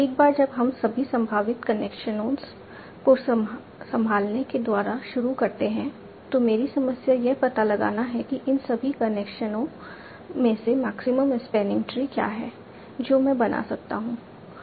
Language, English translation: Hindi, Now once we start by assuming all possible connections, my problem is to find out what is the maximum spanning tree from this all the connections that I can build